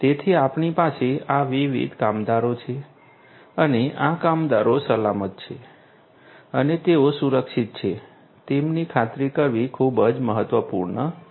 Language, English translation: Gujarati, So, we have these different workers and it is very important to ensure that these workers are safe and they are secured right